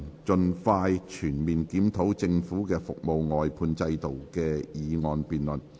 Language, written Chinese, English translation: Cantonese, "盡快全面檢討政府的服務外判制度"的議案辯論。, The motion debate on Expeditiously conducting a comprehensive review of the Governments service outsourcing system